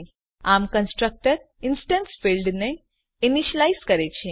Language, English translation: Gujarati, So the constructor initializes the instance field